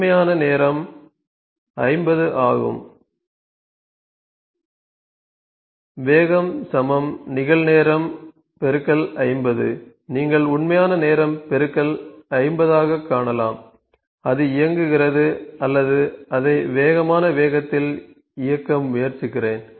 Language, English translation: Tamil, Real time into 50, you can see in the real time into 50 time is running or let me try to run it in the fastest pace